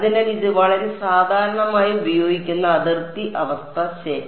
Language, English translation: Malayalam, So, this is very very commonly used boundary condition ok